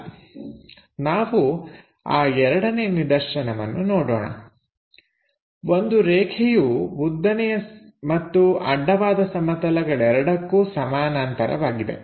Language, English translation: Kannada, Let us look at second case: A line parallel to both vertical plane and horizontal plane